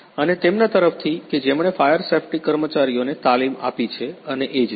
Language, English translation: Gujarati, And also from who trained the fire safety workers and so on